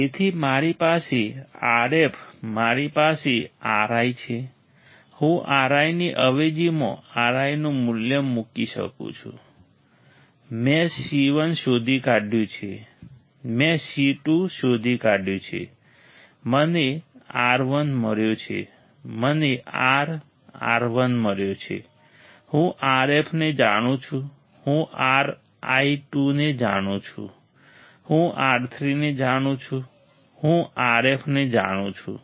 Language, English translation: Gujarati, So, I have R f I have R i, I can put a value of R i substitute the value of R i, I have found C 1, I have found C 2, I have found R 1 I have found R, R I; I know R f I know R i 2, I know R 3 I know R f